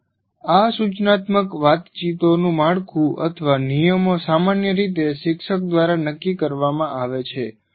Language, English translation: Gujarati, But the structure are the rules of these instructional conversations are generally determined by the teacher